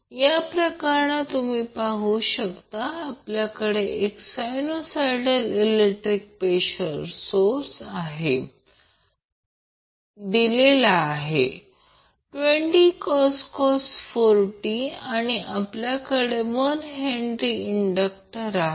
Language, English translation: Marathi, In this case you will see that we have 1 sinusoidal voltage source or given by 20 cos 4t and we have the indictor of 1 Henry